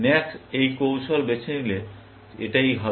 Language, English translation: Bengali, This is what will happen, if max chooses this strategy